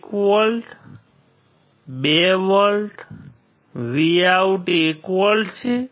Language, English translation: Gujarati, 1 volt, 2 volts, Vout is 1 volt